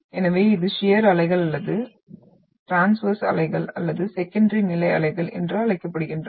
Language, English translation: Tamil, So it is also termed as the shear waves or the transverse waves or the secondary waves